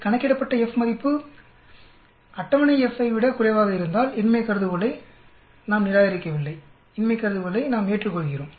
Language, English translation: Tamil, If the F value calculated is less than the F table, we do not reject the null hypothesis, we accept the null hypothesis